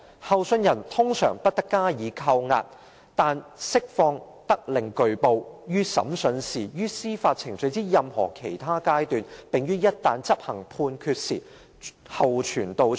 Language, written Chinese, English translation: Cantonese, 候訊人通常不得加以羈押，但釋放得令具報，於審訊時、於司法程序之任何其他階段、並於一旦執行判決時，候傳到場。, It shall not be the general rule that persons awaiting trial shall be detained in custody but release may be subject to guarantees to appear for trial at any other stage of the judicial proceedings and should occasion arise for execution of the judgment